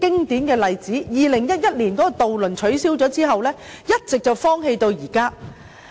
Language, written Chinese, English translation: Cantonese, 渡輪在2011年取消後，碼頭一直荒棄至今。, Since the cessation of ferry services in 2011 the pier has been abandoned